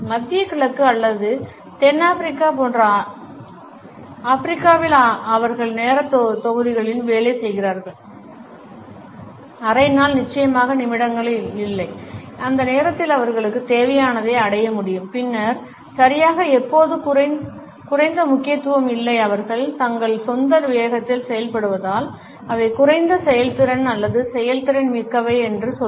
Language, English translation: Tamil, In Africa like in the middle east or South America there they work in blocks of time, half a day maybe certainly not in minutes as long as they can achieve what they need in that block of time, then exactly when is less importance that is not to say that they are less efficient or effective its just that they work at their own pace